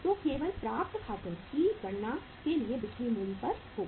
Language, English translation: Hindi, So only for calculating the weights accounts receivables will be at the selling price